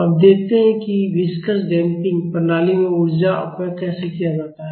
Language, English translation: Hindi, Now, let us see how energy dissipation is done in a viscous damping system